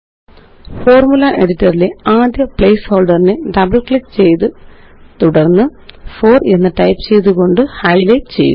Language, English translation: Malayalam, Let us highlight the first placeholder in the Formula editor by double clicking it and then typing 4